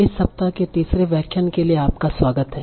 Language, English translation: Hindi, So, welcome back for the third lecture of this week